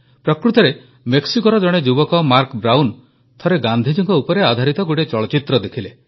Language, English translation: Odia, In fact a young person of Oaxaca, Mark Brown once watched a movie on Mahatma Gandhi